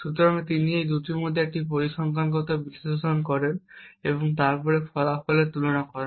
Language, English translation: Bengali, So, he performs a statistical analysis between these two and then compares the results